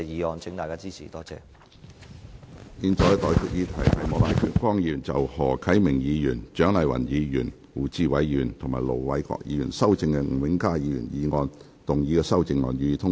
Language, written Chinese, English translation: Cantonese, 我現在向各位提出的待議議題是：莫乃光議員就經何啟明議員、蔣麗芸議員、胡志偉議員及盧偉國議員修正的吳永嘉議員議案動議的修正案，予以通過。, I now propose the question to you and that is That Mr Charles Peter MOKs amendment to Mr Jimmy NGs motion as amended by Mr HO Kai - ming Dr CHIANG Lai - wan Mr WU Chi - wai and Ir Dr LO Wai - kwok be passed